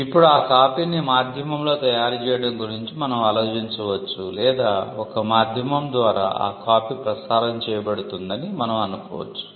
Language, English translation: Telugu, Now, we can think about copy is being made an on a medium or we can think of copy is being transmitted through a medium